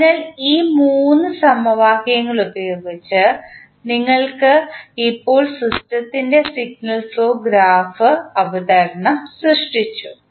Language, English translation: Malayalam, So, using these 3 equations, you have now created the signal flow graph presentation of the system